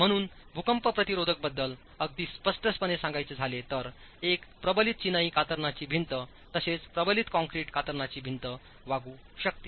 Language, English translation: Marathi, So, very clearly as far as earthquake resistance is concerned a reinforced masonry shear wall can behave as well as a reinforced concrete shear wall